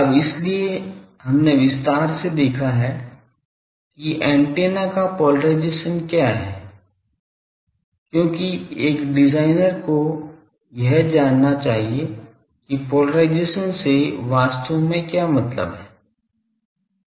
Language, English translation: Hindi, Now, so we have seen in detail what is the polarisation of the antenna because a designer should be knowing what is exactly mean by polarisation